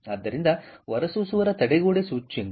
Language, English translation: Kannada, so the barrier index of the emitter